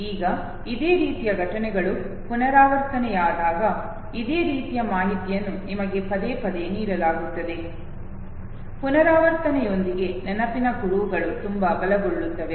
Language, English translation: Kannada, Now when similar type of events are repeated, similar information is given to you time and again okay, with repetition the memory traces they become very strong